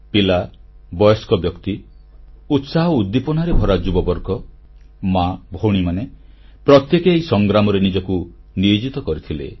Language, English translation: Odia, Children, the elderly, the youth full of energy and enthusiasm, women, girls turned out to participate in this battle